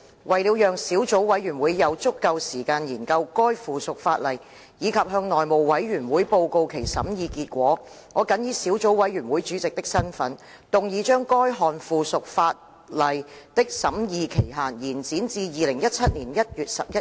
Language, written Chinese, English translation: Cantonese, 為了讓小組委員會有足夠時間研究該附屬法例，以及向內務委員會報告其審議結果，我謹以小組委員會主席的身份，動議將該項附屬法例的審議期限，延展至2017年1月11日。, To allow ample time for the Subcommittee to study the subsidiary legislation and report its deliberations to the House Committee I in my capacity as Chairman of the Subcommittee now moved that the scrutiny period for examining the subsidiary legislation be extended to 11 January 2017